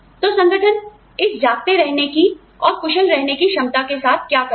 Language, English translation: Hindi, So, what is the organization going to do, with this ability to stay awake, and be efficient, for all this time